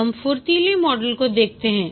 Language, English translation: Hindi, Now let's look at the agile models